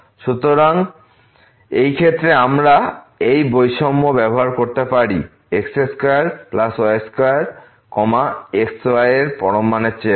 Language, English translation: Bengali, So, in this case, we can use this inequality that square plus square is greater than the absolute value of